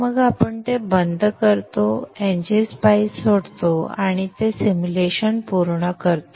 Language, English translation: Marathi, Then you close it, quit, NG Spice and that completes the simulation